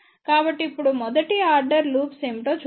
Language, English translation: Telugu, So, now, let us see what are the first order loops ok